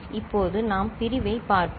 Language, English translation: Tamil, Now, we shall look at division